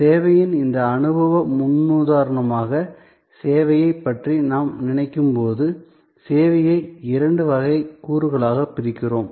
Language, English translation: Tamil, Therefore, when we think of service, this experiential paradigm of service, we divide the service into two classes of elements